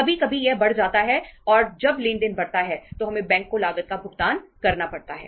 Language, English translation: Hindi, Sometime it increases and when the transaction increases we have to pay the cost to the bank